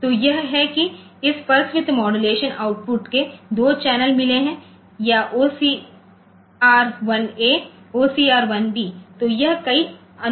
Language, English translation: Hindi, So, this is it has got 2 channels of this pulse width modulation output or OCR 1 A and OCR 1 b